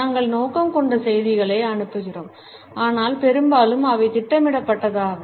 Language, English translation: Tamil, We pass on messages which may be intended, but mostly they are unintended